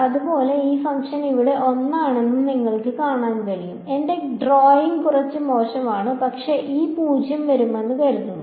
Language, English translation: Malayalam, Similarly you can see this function is one over here my drawing is little bad, but this 0 supposed to come over here and similarly for this should match